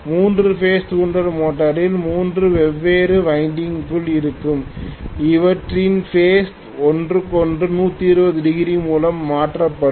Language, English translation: Tamil, In three phase induction motor there will be three different windings which are phase shifted from each other by 120 degrees